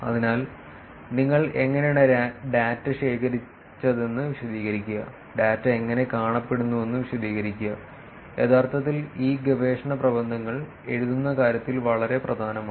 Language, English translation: Malayalam, So, explaining how you did collected the data, explaining what the data looks like is extremely important in terms of actually writing these research papers